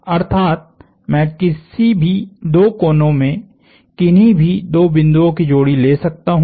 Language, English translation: Hindi, That is, I can take any pair of points in any two corners